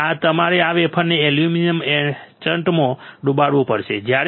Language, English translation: Gujarati, So, you have to dip this wafer in a aluminium etchant